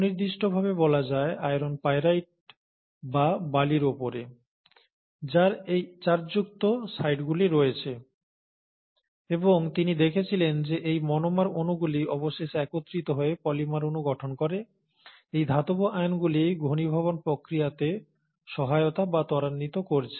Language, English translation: Bengali, To be specific, on iron pyrite or on sand, which do have these charged sites, and he found that these monomeric molecules would eventually join together to form polymeric molecules, and in the process it is the metal ions which are helping or facilitating the process of condensation